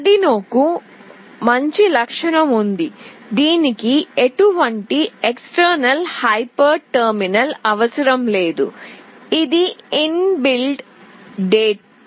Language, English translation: Telugu, Arduino has a good feature that it does not require any external hyper terminal, it is in built there